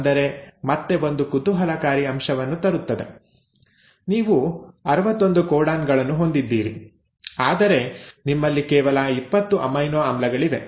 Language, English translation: Kannada, Now that is, again brings one interesting point; you have 61 codons, but you have only 20 amino acids